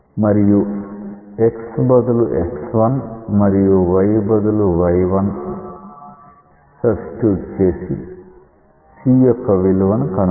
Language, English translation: Telugu, So, that point when substituted x say x 1 and y equal to y 1 will give the value of c